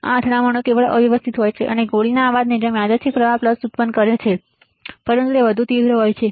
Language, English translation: Gujarati, These collisions are purely random and produce random current pulses similar to shot noise, but much more intense ok